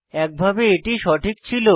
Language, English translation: Bengali, In a way it is correct